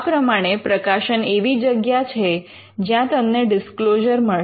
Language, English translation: Gujarati, So, publications are places where you would find disclosures